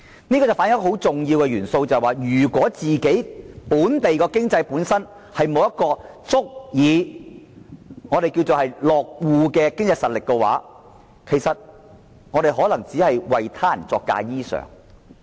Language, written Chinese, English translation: Cantonese, 這反映了如果本地經濟本身沒有足以落戶的經濟實力，其實只能為他人作嫁衣裳。, This reflects that if the local economy does not have adequate economic strength to develop itself into an economic base it can only render service to others